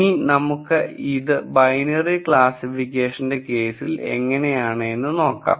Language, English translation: Malayalam, So, that is another binary classification example